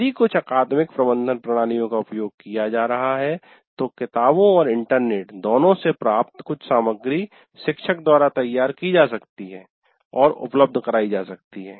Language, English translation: Hindi, And these days if you are using some academic management system, some curated material both from books and internet can also be prepared by teacher and made available